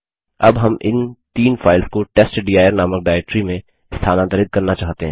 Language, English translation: Hindi, Now we want to move this three files to a directory called testdir